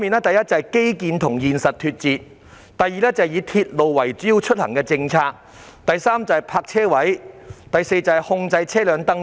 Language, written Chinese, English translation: Cantonese, 第一，基建與現實脫節；第二，以鐵路為主要出行方式的政策；第三，泊車位；第四，控制車輛登記。, First disconnection between infrastructure and reality; second the policy of using railways as a major mode of transport; third parking spaces; and fourth control on vehicle registration